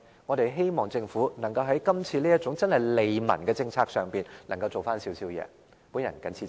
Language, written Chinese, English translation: Cantonese, 我們希望政府在這種真正利民的政策上可以做一些工作。, We hope the Government will do something in terms of policy to bring benefits to the public